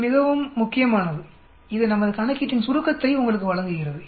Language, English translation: Tamil, That is very very important that gives you the sort of summary of all our calculation